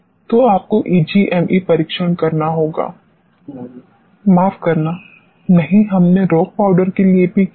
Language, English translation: Hindi, So, you have to perform EGME test; Sorry; no, we have done for rock powders also